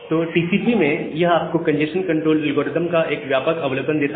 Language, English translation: Hindi, So, in this lecture, we look into the congestion control algorithms in TCP